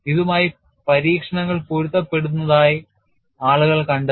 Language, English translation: Malayalam, People have found that it matches with the experiments and that is what you see here